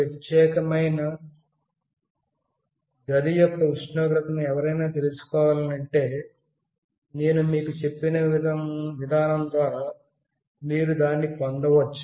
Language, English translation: Telugu, If somebody wants to know the temperature of this particular room, you can get it through the mechanism I told you